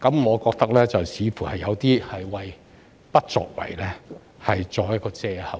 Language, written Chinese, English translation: Cantonese, 我覺得這說法似乎是要為"不作為"找藉口。, This I think seems to be an excuse for not taking any action